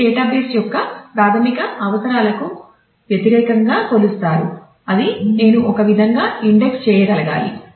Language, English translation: Telugu, So, that will be that will be measured against the basic requirements of the database that is I should be able to index in a way